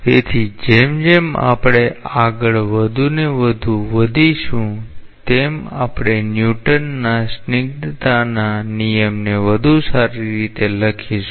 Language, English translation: Gujarati, So, as we advance and proceed more and more we will come into more and more decorous ways of writing the Newton s law of viscosity